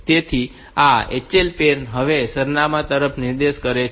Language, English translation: Gujarati, So, this HL pair is pointing to this address now